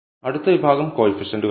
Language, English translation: Malayalam, So, the next section is coefficients